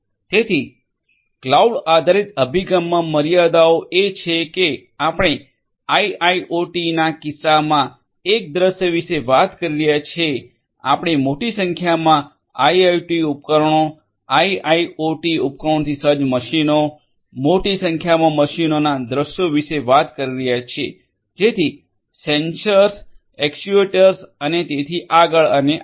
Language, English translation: Gujarati, So, limitations in the cloud based approach is that we are talking about a scenario in the case of IIoT we are talking about scenarios of machines large number of machines equipped with large number of IIoT devices, IoT devices and so, on sensors, actuators and so on and so forth